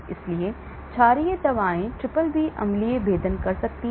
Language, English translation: Hindi, so basic drugs can penetrate BBB acidic ones will not